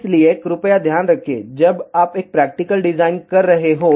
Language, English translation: Hindi, So, please take care, when you are doing a practical design